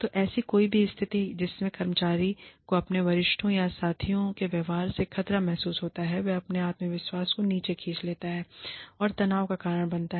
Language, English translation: Hindi, So, any situation in which, the employee feels threatened, by the behavior, of his or her superiors or peers, and pulls their self confidence down, and causes them stress, is called workplace bullying